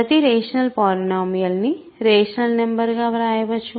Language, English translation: Telugu, Every rational polynomial can be written as a rational number